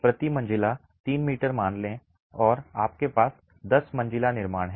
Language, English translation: Hindi, Assume 3 meters per story and you have a 10 story construction